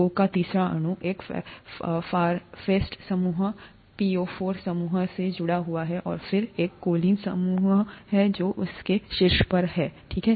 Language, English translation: Hindi, The third molecule of O is attached to a phosphate group, ‘PO4 ’group, and then there is a choline group that is on top of that, okay